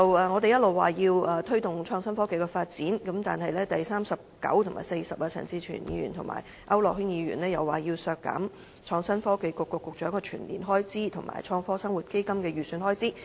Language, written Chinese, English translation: Cantonese, 我們一直說要推動創新科技的發展，但是，在修正案編號39和 40， 陳志全議員和區諾軒議員卻提出要削減創新及科技局局長的全年薪酬預算開支，以及"創科生活基金"的預算開支。, We have been talking about the need to promote the development of innovation and technology . But Amendment Nos . 39 and 40 put forth by Mr CHAN Chi - chuen and Mr AU Nok - hin nonetheless propose to cut the estimated annual expenditure for the remuneration of the Secretary for Innovation and Technology and also the estimated expenditure for the Fund for Better Living